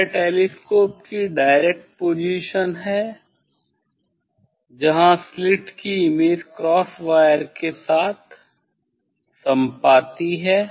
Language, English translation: Hindi, this is the direct position of the telescope where the slit image coincides with the cross wire